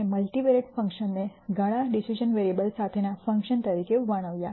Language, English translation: Gujarati, We described multivariate functions as functions with several decision variables